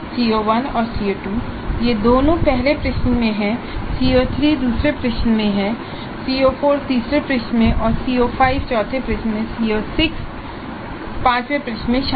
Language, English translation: Hindi, CO1 and CO2, both of them are covered in the first question and CO3 is covered in the second question, CO4 in the third question, CO5 in the fourth question, CO6 in the third question, CO5 in the fourth question, CO 6 in the fifth question